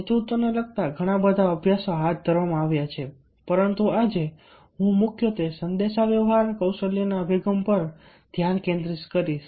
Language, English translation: Gujarati, lots of studies have been carried out related to a leadership, but today i shall be focusing mainly a communication skills approach